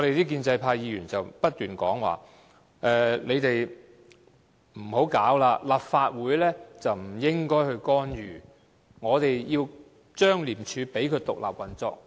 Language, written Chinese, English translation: Cantonese, 建制派議員不斷說我們不應該這樣做，立法會不應該干預，要讓廉署獨立運作。, Members from the pro - establishment camp keep saying that we the Legislative Council should not do so should not interfere with ICAC but should let it function independently